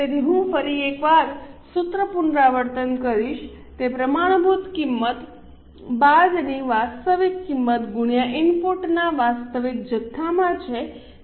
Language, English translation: Gujarati, So, the formula I will repeat once again, it is standard price minus actual price into actual quantity of input